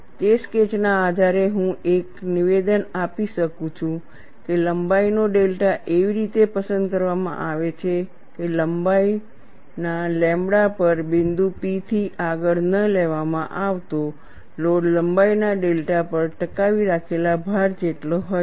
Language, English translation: Gujarati, We have already seen the sketch, based on that sketch I can make a statement that length delta is chosen such that; the load that is not taken beyond point P on length lambda is equal to the load sustained on length one